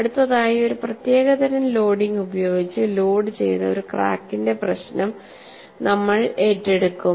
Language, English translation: Malayalam, Next, we will take up a problem of a crack which is loaded with a special type of loading